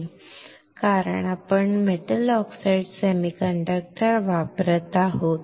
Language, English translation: Marathi, Why, because we are using metal oxide semiconductor